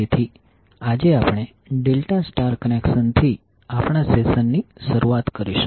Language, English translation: Gujarati, So today, we will start our session with delta star connection